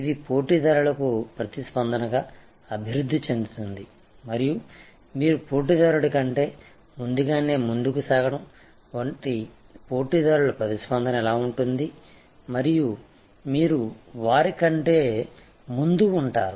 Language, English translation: Telugu, It will move evolve in response to competitors and more a better is that you move ahead of the competitor your anticipate, what the competitors response will be and you be ahead of them